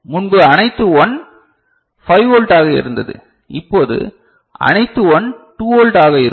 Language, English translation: Tamil, Earlier all 1 was 5 volt, now all 1 will be 2 volt ok